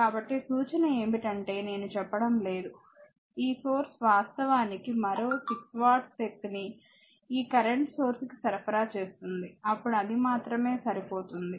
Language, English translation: Telugu, So, just hint is that you calculate I am not telling, this source actually is supplying another 6 watt power right this current source then only it will match